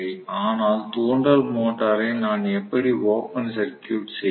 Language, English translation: Tamil, But how will I open circuit the induction motor